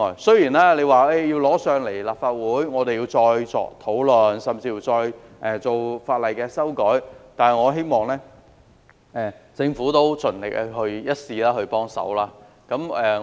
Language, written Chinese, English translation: Cantonese, 雖然有關建議要提交立法會，議員要再作討論，甚至再修改法例，但我希望政府盡力一試，給予幫忙。, Even though the proposal will have to be submitted to the Council for further discussion by Members and legislative amendment will be required I still hope that the Government will give it a try and provide more help